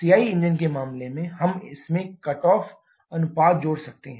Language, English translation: Hindi, In case of CI engines we can add the cut off ratio to this